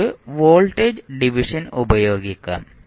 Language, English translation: Malayalam, We can use by simply voltage division